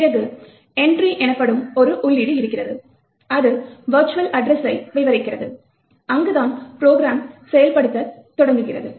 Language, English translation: Tamil, Then you have an entry which is known as Entry, which describes the virtual address, where program has to begin execution